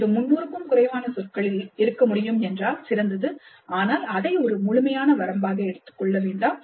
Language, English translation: Tamil, Please describe if it can be in less than 300 words grade, but please do not take that as an absolute limit